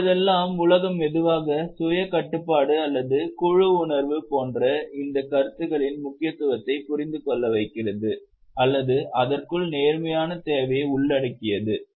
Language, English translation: Tamil, Nowadays the world is slowly coming to understand the importance of these concepts like self regulation or team spirit or having the need of fairness within and so on